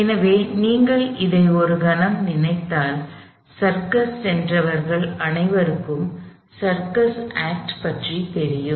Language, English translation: Tamil, So, if you think of this for a moment, let say you all anybody that is been to a circus, you see this, you know the circus act, where is a doom